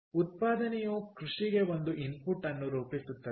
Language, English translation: Kannada, ok, does manufacturing form an input to agriculture